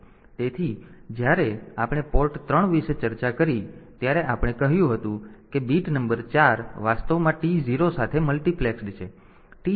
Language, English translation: Gujarati, So, when we discussed about the port 3, we said that bit number 4 is actually multiplexed with T 0